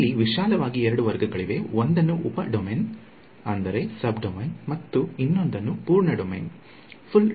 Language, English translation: Kannada, There are broadly two classes one are called sub domain and the other are called full domain